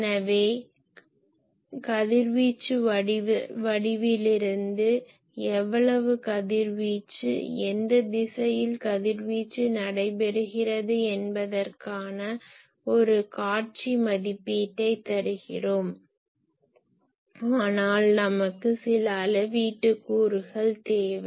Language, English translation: Tamil, So, from radiation pattern we give a visual estimate that how the radiation in which direction radiation is taking place , but we want some quantifying measure